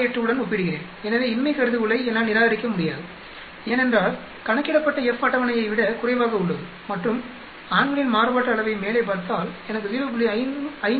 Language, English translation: Tamil, 68 so I cannot reject the null hypothesis, because the F calculated is lower than the table here and if look put the men variance on the top then I will get 0